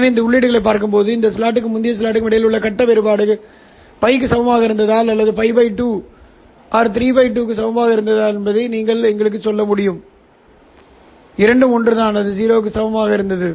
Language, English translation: Tamil, So looking at these three outputs you will be able to tell us whether the face difference between this plot and the previous thought was equal to pi or it was equal to pi by 2 or 3 pi by 2 both are the same and it was equal to 0